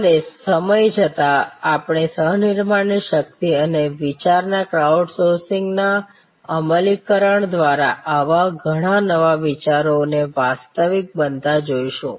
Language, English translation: Gujarati, And over time we will see many such new ideas taking shape becoming reality through the power of co creation and crowd sourcing of idea and participatory immersive implementation